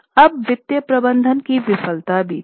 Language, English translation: Hindi, Now there was also failure of financial management